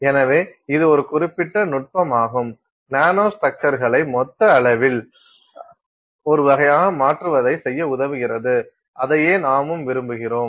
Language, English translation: Tamil, So, that is a particular technique which helps us do this, make nanostructures a sort of in the bulk scale and that is what we are interested in